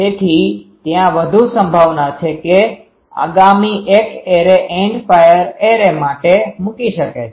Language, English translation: Gujarati, So, there is high chance that the next one can put to for a array End fire array